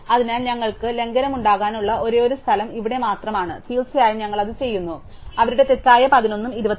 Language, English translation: Malayalam, So, this okay, So, the only place we could have a violation is here and indeed we do, because 11 and 24 on the wrong order